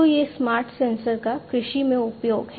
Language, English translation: Hindi, So, this is this agricultural use of smart sensors